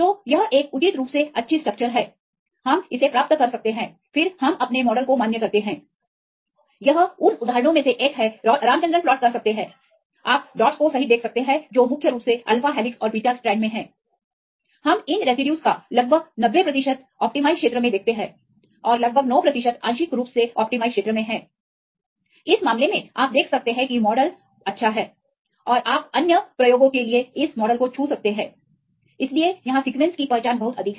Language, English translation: Hindi, So, it is a reasonably good structure, we can get this one then we validate our model this is one of the examples you can do the Ramachandran plot you can see the dots right which are mainly in the alpha helixes and in the beta strands and we see about 90 percent of these residues on the allowed region and about nine percent are in the partially allowed region right in this case you can see the model is reasonably good and you can touch this model for the other applications